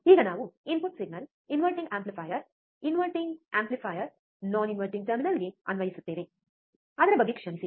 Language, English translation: Kannada, Now, we will apply input signal, input signal to the inverting amplifier, non inverting amplifier non inverting terminal, sorry about that